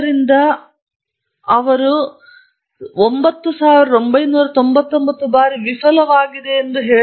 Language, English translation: Kannada, So, they asked him how, they went and said you failed 9,999 times